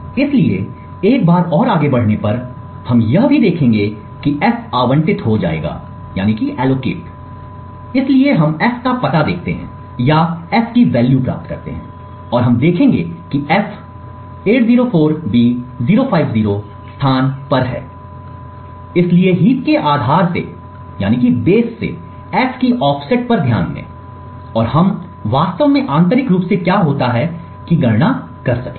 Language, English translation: Hindi, see that the f would get allocated, so we look at the address of f or to obtain the thing for f and we would see that f is at a location 804b050, so note the offset of f from the base of the heap and we will compute actually what happens internally